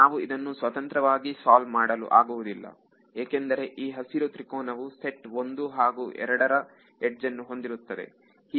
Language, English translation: Kannada, The reason we cannot independently solve it is this green triangle has edges belonging to the set 1 and set 2